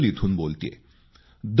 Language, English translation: Marathi, I am speaking from Bodal